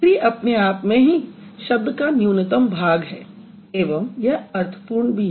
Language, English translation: Hindi, So, tree itself is the minimal part of this word